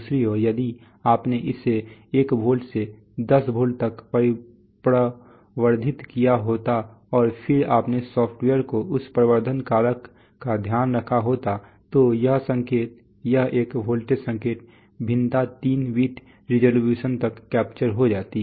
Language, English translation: Hindi, On the other hand if you had amplified it this 1 volt to 10 volt and then taken care of this amplification factor in your software then this signal, this one volt signal variation would have been captured up to 3 bit resolution